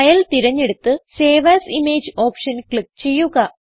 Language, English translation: Malayalam, Select File and click on Save As Image option